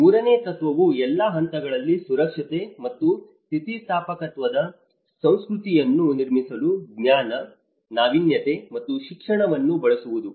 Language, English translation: Kannada, The third principle is use knowledge, innovation, and education to build a culture of safety and resilience at all levels